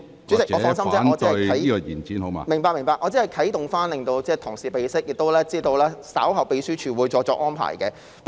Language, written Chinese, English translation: Cantonese, 主席，放心，我只是作出啟動，讓同事備悉，而我亦知道秘書處稍後會再作安排。, President please rest assured that I just start off the discussion so that fellow colleagues will take note of the matter . I also know that the Secretariat will make further arrangement later